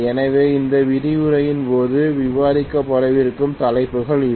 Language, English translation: Tamil, So these are the topics that are going to be covered during this lecture